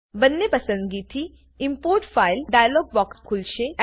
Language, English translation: Gujarati, Both choices will open the Import File Dialog box